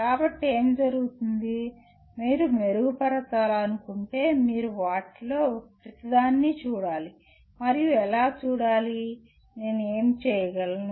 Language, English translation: Telugu, So what happens, if you want to improve you have to look at each one of them and to see how, what is it that I can do